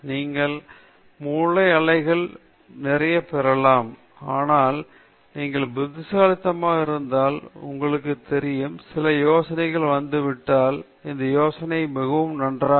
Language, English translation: Tamil, You may get lot of brain waves, but if you are intelligent and smart, then you will know that, ok, some many ideas come, this idea is not very good